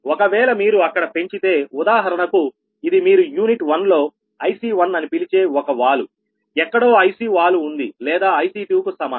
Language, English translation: Telugu, for example, this is a slope you call ic one, for in unit one there is a slope somewhere ic or is equal to ic two, right